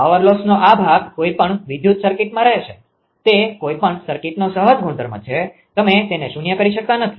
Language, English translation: Gujarati, This part of the power loss will remain in any electrical circuit; that is the inherent property of any circuit; you cannot make it to 0